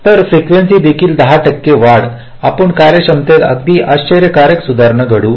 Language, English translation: Marathi, so even a ten percent increase in frequency, we will lead to a very fantastic improve in performance